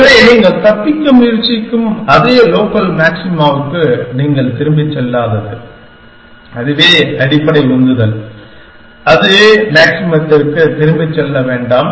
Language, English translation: Tamil, So, that you do not go back to the same local maxima from which you are trying to escape that is the basic motivation, do not go back to the same maximum that would